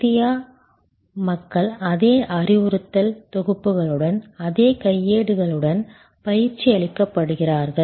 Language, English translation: Tamil, India people are trained with the same manuals with the same instruction sets